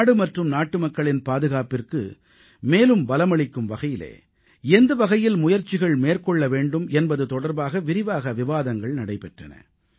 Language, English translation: Tamil, What kind of steps should be taken to strengthen the security of the country and that of the countrymen, was discussed in detail